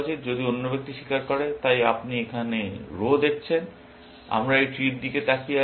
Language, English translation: Bengali, If the other person confesses; so, you looking at row, now; we are looking at this tree